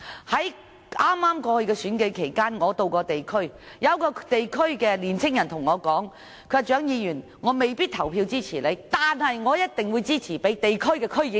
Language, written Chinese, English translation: Cantonese, 在剛過去的選舉期間我曾落區，當時有位年輕人告訴我：蔣議員，我未必投票支持你，但我一定會支持地區區議員。, I was visiting the district during the last election when a young man told me Dr CHIANG I may not vote for you but I will certainly support the local DC Members